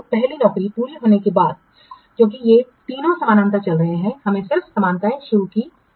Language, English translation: Hindi, After the first job is completed because these three are running paralleling